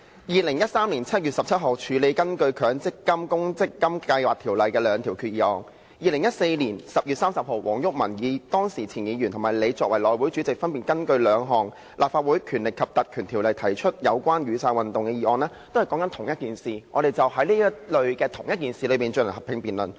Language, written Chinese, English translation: Cantonese, 2013年7月17日處理根據《強制性公積金計劃條例》提出的兩項決議案 ；2014 年10月30日黃毓民前議員及你作為內務委員會主席，分別根據《立法會條例》提出兩項有關雨傘運動的議案，均針對相同的事宜，我們就此進行合併辯論。, For example the two proposed resolutions under the Mandatory Provident Fund Schemes Ordinance dealt with on 17 July 2013; and the two motions on Umbrella Movement moved respectively by former Member WONG Yuk - man and you in the capacity of Chairman of the House Committee under the Legislative Council Ordinance on 30 October 2014 they were related to the same subject and thus joint debates were held